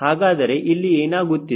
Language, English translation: Kannada, now what is happening